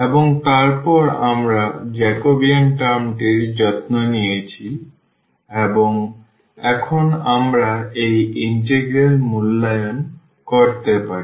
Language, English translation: Bengali, And, then we have change the integral we have taken care for the Jacobian term and now we can evaluate this integral